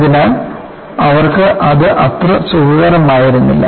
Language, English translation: Malayalam, So, they were quite not comfortable with it